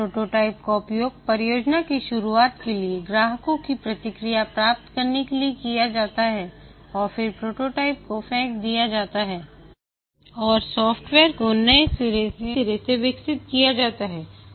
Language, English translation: Hindi, The prototype is used to get customer feedback, the start of the project and then the prototype is thrown away and the software is developed fresh